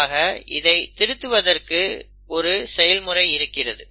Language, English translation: Tamil, So there is a process wherein the editing takes place